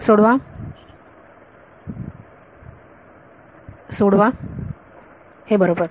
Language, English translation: Marathi, Solve it right